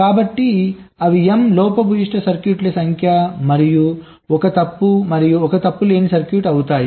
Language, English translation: Telugu, so they will be m number of faulty circuits and one faulty and one fault free circuit